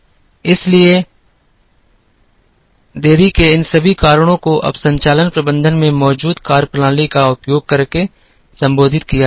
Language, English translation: Hindi, So, all these reasons for delays are now addressed using methodologies that are there in operations management